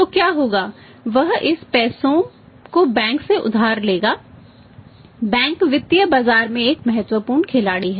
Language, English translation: Hindi, So, what will happen we will borrow this money borrow these funds from bank, bank is one important player in the financial market